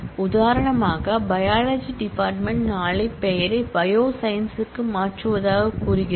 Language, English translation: Tamil, For example, biology department say tomorrow changes the name to bioscience